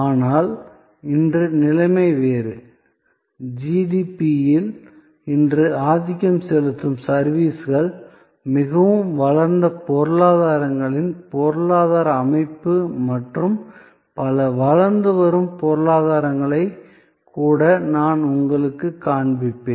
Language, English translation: Tamil, But, today the situation is different, as I will show you, services today dominant the GDP, the economic structure of most developed economies and even many emerging economies